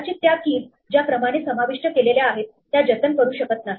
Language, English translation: Marathi, It may not preserve the keys in the order in which they are inserted